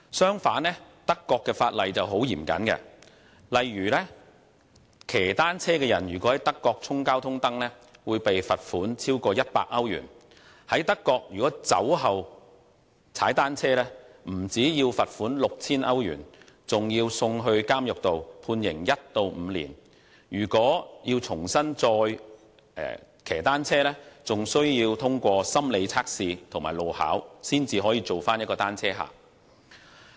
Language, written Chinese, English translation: Cantonese, 相反，德國的法例相當嚴謹，例如踏單車的人如果在德國衝交通燈，會被罰款超過100歐羅。在德國，如果酒後踏單車，不但要罰款 6,000 歐羅，還要被監禁1至5年；其後還需要通過心理測試和路考，才能再次成為"單車客"。, On the contrary the relevant legislation in Germany is rather rigorous . For example red light - jumping cyclers are liable to a fine of more than €100; drink cycling in Germany is liable to a fine of €6,000 and to imprisonment for one to five years; offenders must also pass a psychological test and a road test in order to become cyclists again